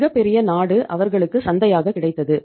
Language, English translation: Tamil, Huge country was the market available to them